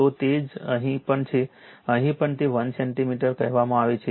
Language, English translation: Gujarati, So, same is here also here also it is your what you call 1 centimeter